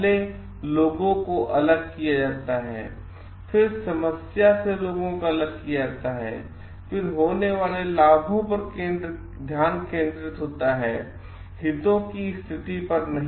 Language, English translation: Hindi, First is people separate, the people from the problem, then interest focus on the interests not positions